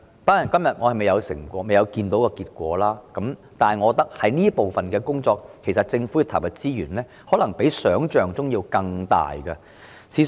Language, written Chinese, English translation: Cantonese, 當然，現時結果尚未顯現，但我認為對於這方面的工作，政府要投入的資源可能較想象中多。, Of course for now the results are yet to be seen but I consider that the Government may have to channel more resources into this aspect than imagined